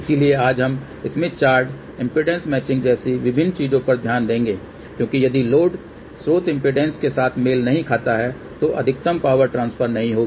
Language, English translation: Hindi, So, today we will look into different things like smith chart, impedance matching because if the load is not match with the source impedance, then maximum power transfer does not happen